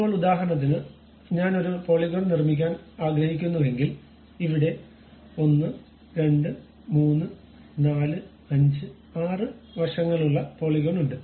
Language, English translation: Malayalam, Now, if I would like to construct a polygon for example, here polygon having 1 2 3 4 5 6 sides are there